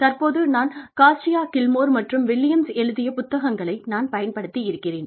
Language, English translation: Tamil, I have used, this book, by Cascio, Gilmore, and Williams, which is an edited volume